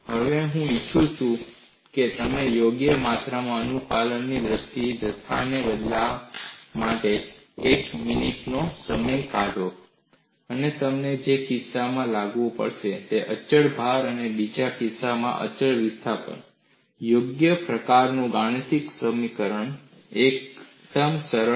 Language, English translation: Gujarati, Now, I would like you to take a minute or two in replacing the quantities here, in terms of the compliance suitably, and you have to bring in, in one case constant load, in another case constant displacement; a suitable kind of mathematical simplifications; fairly simple